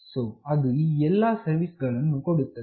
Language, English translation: Kannada, So, it provides all these services